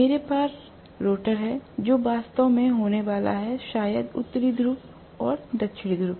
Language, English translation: Hindi, I have the rotor, which is actually going to have, maybe the North Pole and South Pole created